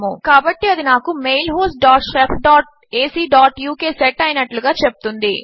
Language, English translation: Telugu, So this just tells me that that is set to mail host dot shef dot ac dot uk